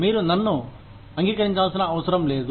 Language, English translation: Telugu, You do not have to agree to me